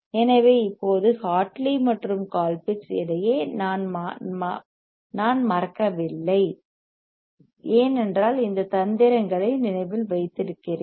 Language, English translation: Tamil, So, now, I do not forget between Hartley and Colpitt’s because I know that these are tricks these are trick to remember trick to remember